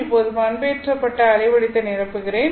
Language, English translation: Tamil, Now let me fill up the modulated waveform